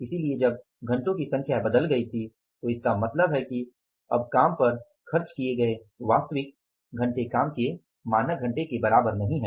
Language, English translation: Hindi, So when the number of hours have changed it means now the actual hours is spent on the work are not same as with the standard hours of the work